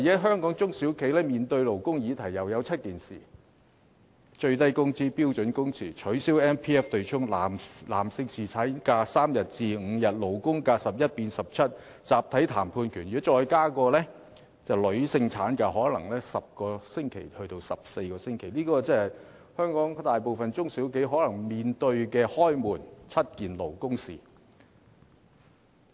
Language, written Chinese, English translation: Cantonese, 香港的中小企現時同樣面對7項勞工議題，即最低工資、標準工時、取消強制性公積金對沖、把男性僱員的侍產假由3天增至5天、把勞工假期由11天增至17天、集體談判權，如再加上可能要把女性僱員的產假由10個星期增至14個星期，香港大部分中小企可能便要面對"開門七件勞工事"。, At present the small and medium enterprises SMEs in Hong Kong also face seven labour issues namely the minimum wage standard working hours abolition of the Mandatory Provident Fund MPF offsetting arrangement extension of the duration of paternity leave granted to a male employee from three days to five days increasing the labour holidays from 11 days to 17 days and the right to collective bargaining . Together with the proposed extension of the duration of maternity leave granted to a female employee from 10 weeks to 14 weeks most SMEs in Hong Kong may have to face the seven labour issues to begin a day